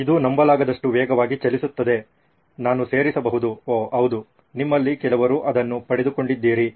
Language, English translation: Kannada, It travels fast incredibly fast, I might add, oh yes you have got it, some of you